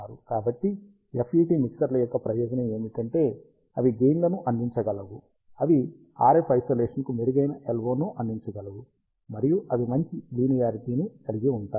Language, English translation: Telugu, So, the advantage of FET ah mixers is that, they can provide gain, they can provide better LO to RF isolation, and they have better linearity